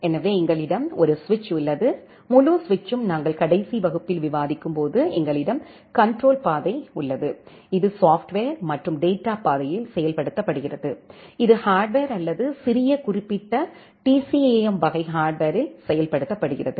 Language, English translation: Tamil, So, we have a switch, the entire switch as we are discussing in the last class, we have the control path, which is implemented in the software and the data path, which is implemented in the hardware or in small specific TCAM type of hardware